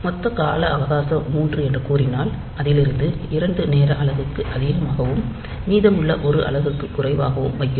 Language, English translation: Tamil, If the total time period is say 3 and then out of that for two time unit, so we are remaining at for two time unit we are remaining at high; and for one time unit we are going to low